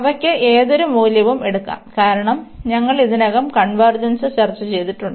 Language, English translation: Malayalam, And any value they can take, because we have already discussed the convergence